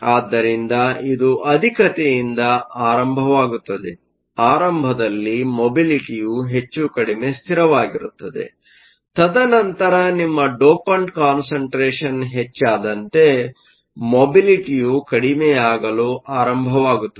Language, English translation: Kannada, So, it starts of high; initially your mobility is more or less constant; and then as your dopant concentration increases, the mobility starts to drop